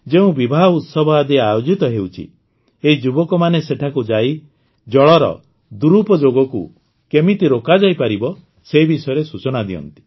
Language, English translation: Odia, If there is an event like marriage somewhere, this group of youth goes there and gives information about how misuse of water can be stopped